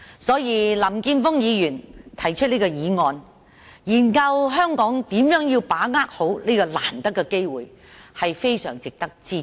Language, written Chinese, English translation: Cantonese, 所以，林健鋒議員提出這項議案，研究香港如何好好把握這個難得的機會，是非常值得支持的。, Therefore Mr Jeffrey LAMs motion on examining the question of how Hong Kong can properly grasp this valuable opportunity deserves our strong support